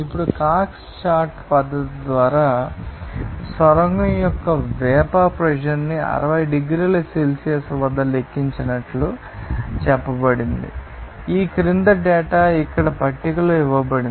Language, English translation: Telugu, Now, it is told that calculated the vapor pressure of the tunnel at 60 degrees Celsius by Cox chart method, the following data are given in table here